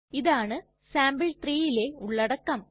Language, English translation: Malayalam, This is the content of sample3